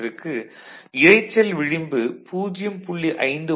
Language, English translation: Tamil, So, there is zero noise margin ok